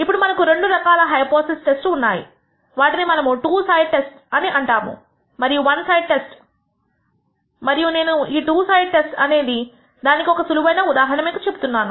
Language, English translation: Telugu, Now, there are two types of hypothesis tests what we call the two sided test and the one sided test and I am giving a simple illustration to tell you what a two sided test means